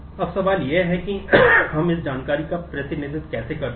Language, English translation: Hindi, Now, the question is how do we represent this information